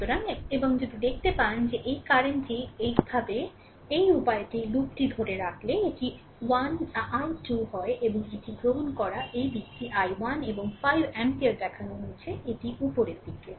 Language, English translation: Bengali, So, and, if you look into that this current, this current, we are taking actually this way this way if you take the loop it is i 2 and this way, we are taking this is your this direction is i 1 and 5 ampere shown it is upwards right